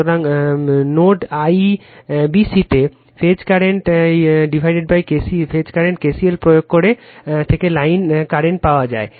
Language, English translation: Bengali, So, line currents are obtained from the phase current by applying KCL at nodes IBC